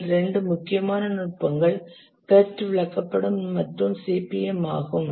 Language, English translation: Tamil, Two important techniques are the Perth chart and the CPM